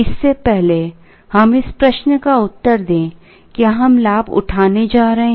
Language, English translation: Hindi, Before that let us answer this question, are we going to avail